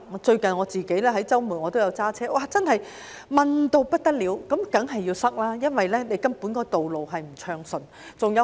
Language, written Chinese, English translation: Cantonese, 最近我在周末駕車外出，道路真是狹窄到不得了，當然會擠塞，因為道路根本不暢順。, I drove out on weekends recently and the roads were really narrow . Congestion certainly occurred because the road traffic was not smooth at all